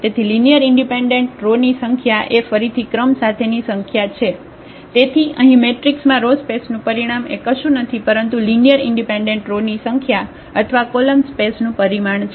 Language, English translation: Gujarati, So, the number of linearly independent rows which is actually the definition of again with the rank; so here, the dimension of the row space is nothing but the number of linearly independent rows in the matrix or the dimension of the column space